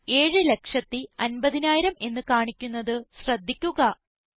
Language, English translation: Malayalam, Notice the result shows 7,50,000